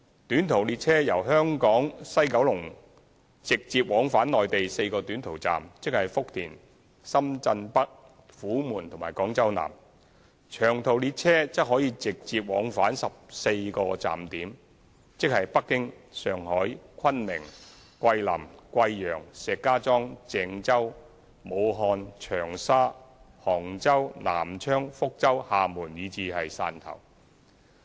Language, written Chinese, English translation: Cantonese, 短途列車由香港西九龍直接往返內地4個短途站點，即福田、深圳北、虎門和廣州南；長途列車則可直接往返14個站點，即北京、上海、昆明、桂林、貴陽、石家莊、鄭州、武漢、長沙、杭州、南昌、福州、廈門和汕頭。, The short haul trains will run directly between WKS and four short haul stations namely Futian Shenzhen North Humen and Guangzhou South stations . There will be direct long haul trains to 14 stations namely Beijing Shanghai Kunming Guilin Guiyang Shijiazhuang Zhengzhou Wuhan Changsha Hangzhou Nanchang Fuzhou Xiamen and Shantou stations